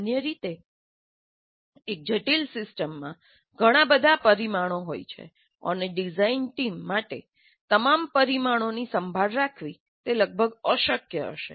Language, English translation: Gujarati, Usually a complex system will have too many parameters and it will be humanly almost impossible for the design team to take care of all the parameters